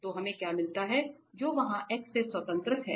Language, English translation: Hindi, So, we get this which is independent of this x here